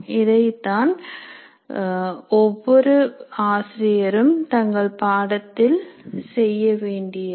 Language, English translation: Tamil, That is what every teacher will have to do with their course